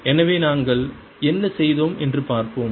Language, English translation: Tamil, so let's see what we did